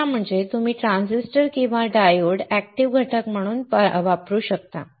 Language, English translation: Marathi, Third advantage is that you can diffuse the transistor or diodes as the active components